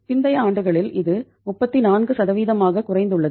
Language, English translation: Tamil, Over the later years it has come down to 34%